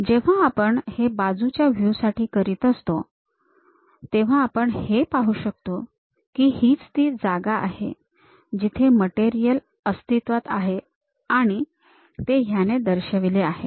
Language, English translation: Marathi, When we do that, on the side view; we can clearly see that, this is the place where material is present, represented by that